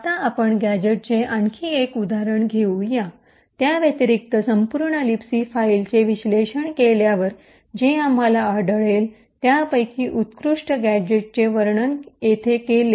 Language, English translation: Marathi, Now let us take another example of a gadget which does addition, after parsing the entire libc file the best gadget that we had found is as one showed over here